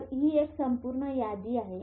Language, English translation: Marathi, So, this is a whole list of it